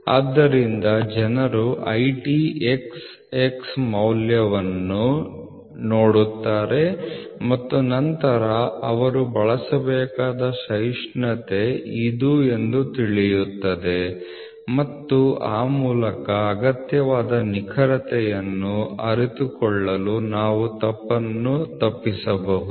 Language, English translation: Kannada, So, people will look at IT xx value and then understand this is the tolerance they have to be, so we can avoid mistake to realize the required accuracy